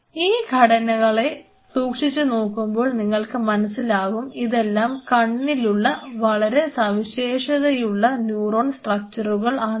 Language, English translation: Malayalam, If you look at this structure these are very specialized neuronal structures present in the eyes